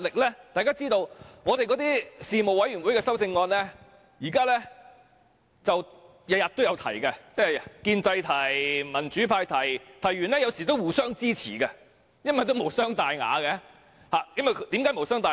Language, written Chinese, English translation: Cantonese, 正如大家知道，我們每天也在事務委員會提出修正案，建制派提出，民主派也提出，有時候會互相支持，因為無傷大雅，為何無傷大雅？, As everyone knows both the pro - establishment and pro - democracy camps will move motions in panels every day . Sometimes we would support each others motions as they are insignificant . Why?